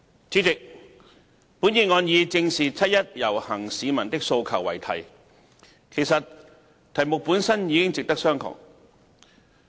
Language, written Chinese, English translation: Cantonese, 主席，本議案以"正視七一遊行市民的訴求"為題，題目本身已值得商榷。, President the title of this motion Facing up to the aspirations of the people participating in the 1 July march is already debatable in itself